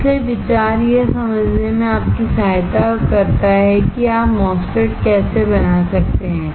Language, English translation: Hindi, So, the idea is to help you to understand how you can fabricate a MOSFET